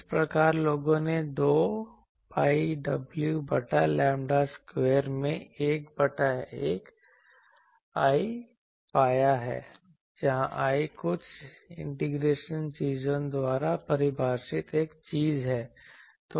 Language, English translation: Hindi, So, by that people have found 2 pi w by lambda square into 1 by I, where I is a thing defined by some integration things